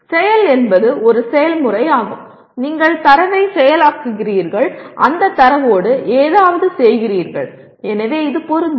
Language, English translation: Tamil, Action is a process which belongs to, you are processing the data, doing something with that data; so it is Apply